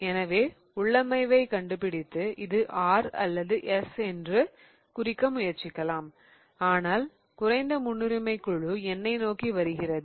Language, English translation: Tamil, So, what you do is you figure out the configuration and then you say that this looks like, you know, R or S but the least priority group is coming towards me